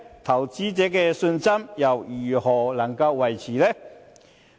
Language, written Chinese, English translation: Cantonese, 投資者信心又如何能夠維持呢？, How can investor confidence be maintained?